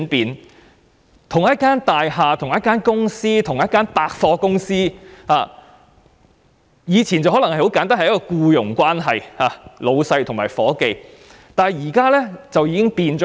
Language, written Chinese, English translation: Cantonese, 以往同一幢大廈、同一間公司或同一間百貨公司可能只有僱傭關係，即上司與下屬，但現在已有很大的轉變。, In the past participants within the same building same company or same department store could only have employment relationship that is superiors and subordinates but significant changes have occurred